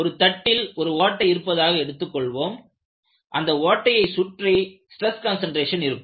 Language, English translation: Tamil, Suppose you take the case of a plate with a hole, you have stress concentration near the hole boundary